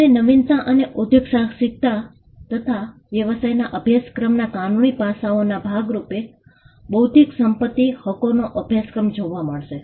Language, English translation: Gujarati, You find intellectual property rights coming as a part of the innovation and entrepreneurship course or you will find it as a part of the legal aspects of business course